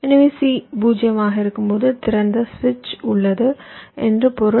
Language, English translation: Tamil, so when c is zero, it means that i have a open switch